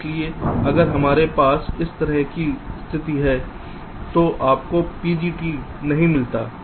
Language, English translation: Hindi, so if we have a situation like this, you do not get a ptg